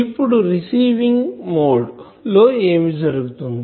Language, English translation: Telugu, Now, what will happen in the receiving mode